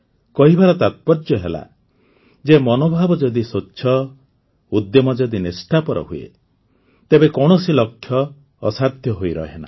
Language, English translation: Odia, What I mean to say is that when the intention is noble, there is honesty in the efforts, no goal remains insurmountable